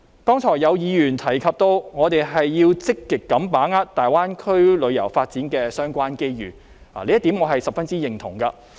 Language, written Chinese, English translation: Cantonese, 剛才有議員提及，我們要積極把握大灣區旅遊發展的相關機遇，這點我十分認同。, Just now Members have mentioned that we should actively grasp the chance of developing tourism in the Greater Bay Area I fully agree with that view